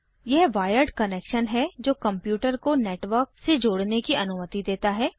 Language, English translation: Hindi, It is a wired connection that allows a computer to connect to a network